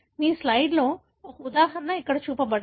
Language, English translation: Telugu, An example is shown here on your slide